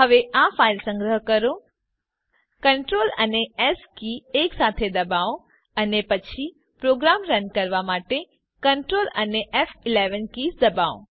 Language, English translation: Gujarati, Now save this file ,press Ctrl S key simultaneously then press Ctrl F11 to run the program